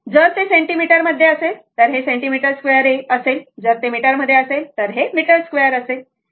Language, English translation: Marathi, If it is in centimeter, centimeter square; if it is in meter, you put in meter square, right